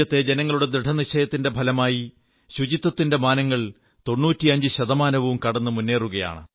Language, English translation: Malayalam, On account of the unwavering resolve of our countrymen, swachchata, sanitation coverage is rapidly advancing towards crossing the 95% mark